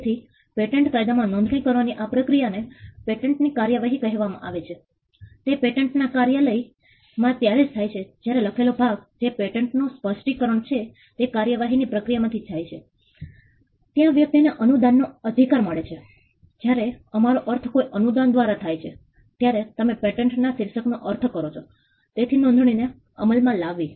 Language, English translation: Gujarati, So, the process of registration in patent law is called patent prosecution, it happens at the patent office only when the written part that is a patent specification go through the process of prosecution there is a person get a grant right; when we mean by a grant you mean a title of patent, so enforcement registration